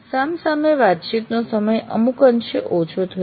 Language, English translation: Gujarati, The face to face sessions are somewhat reduced